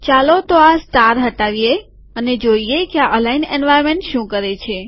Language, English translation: Gujarati, Let us remove the star and see what the aligned environment does